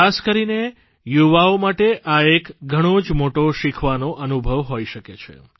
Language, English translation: Gujarati, This can be a huge learning experience especially for the youth